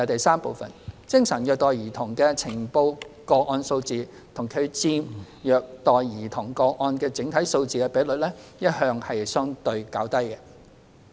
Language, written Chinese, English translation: Cantonese, 三精神虐待兒童的呈報個案數字及其佔虐待兒童個案的整體數字的比率一向相對較低。, 3 The number of reported cases of psychological abuse of children and the percentage of such cases over the total number of child abuse cases have been relatively low